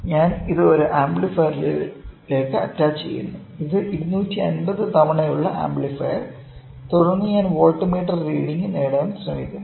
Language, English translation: Malayalam, I am attaching it to an amplifier, amplifier which is 250 times and then I am trying to get the voltmeter, voltmeter reading